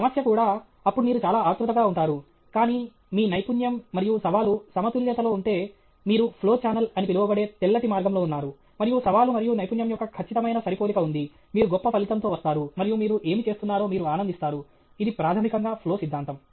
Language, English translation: Telugu, problem also, then you will be highly anxious, but if your skill and challenge are in balance, you are in that white path which is called the flow channel, and there is an exact matching of challenge and skill, the best thing you will come out, and you will enjoy what you are doing; this is the basically the Flow Theory okay